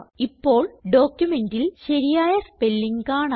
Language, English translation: Malayalam, You see that the correct spelling now appears in the document